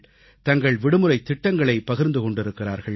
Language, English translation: Tamil, They have shared their vacation plans